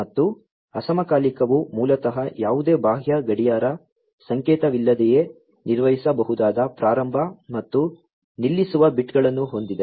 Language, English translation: Kannada, And, asynchronous basically has start and stop bits that can be handled, without any external clock signal